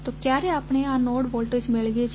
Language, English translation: Gujarati, So, when we get these node voltages